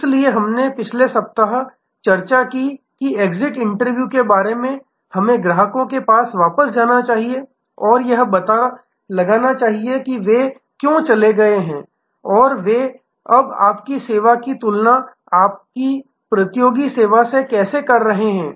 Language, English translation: Hindi, So, we discussed last week about exit interviews going back to passed customers and finding out, why the left and how are they now comparing your service with your competitor service and so on